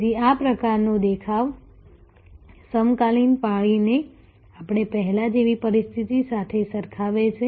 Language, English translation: Gujarati, So, this kind of looks at the contemporary shift compare to the situation as we had before